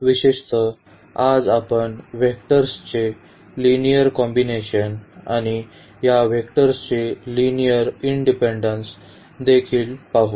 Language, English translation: Marathi, In particular, we will cover today the linear combinations of the vectors and also this linear independence of vectors